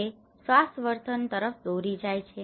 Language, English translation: Gujarati, That leads to health behaviour